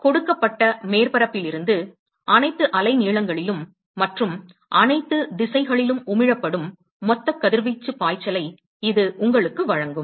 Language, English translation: Tamil, So, that will give you the, total radiation flux from a given surface at all wavelengths, and emitted in all directions